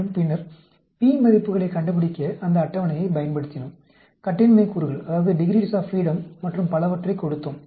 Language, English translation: Tamil, And then, we used those tables to find out the p values, given the degrees of freedom and so on